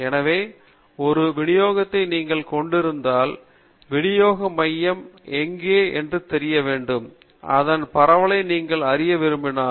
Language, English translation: Tamil, So, when you have a distribution you may want to know where the center of the distribution is; you may also want to know the extent of spread of the distribution